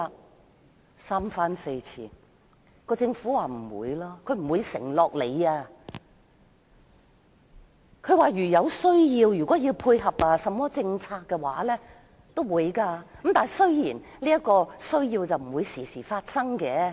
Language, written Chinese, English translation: Cantonese, 我們三番四次提出要求，但政府不願意作出承諾，並說如有需要配合政策，會再次這樣做，雖然不會經常有此需要。, We made this request repeatedly but the Government was unwilling to give its promise saying that it would do the same again though infrequent to dovetail with its policies when necessary